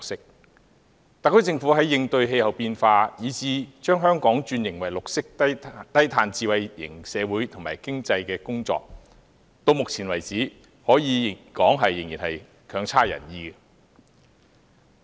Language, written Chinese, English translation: Cantonese, 然而，就特區政府在應對氣候變化，以至把香港轉型為綠色低碳智慧型社會及經濟的工作，直至目前為止，可說仍不盡人意。, Yet the SAR Governments work in combating climate change and transforming Hong Kong into a green and low - carbon smart society and economy has so far been unsatisfactory